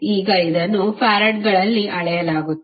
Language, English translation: Kannada, Now, it is measured in farads